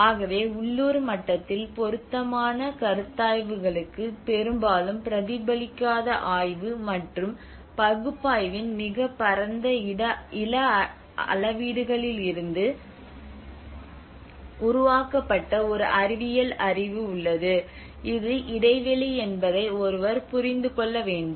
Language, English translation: Tamil, So and also there is a scientific knowledge which has been generated from a very vast spatial scales of study and analysis is often not reflected for appropriate considerations at local level, this is the gap one can understand